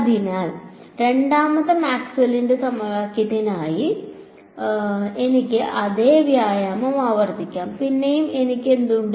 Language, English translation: Malayalam, So, I can repeat the same exercise for the second Maxwell’s equation right; again there what do I have